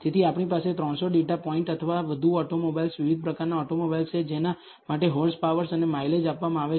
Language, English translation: Gujarati, So, we have 300 data points or more of automobiles, different types of automobiles, for which the horsepower and the mileage is given